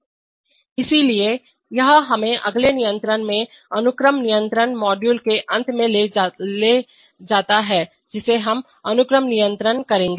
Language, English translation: Hindi, So that is, that brings us to the end of the process control module from the next lesson we shall take up sequence control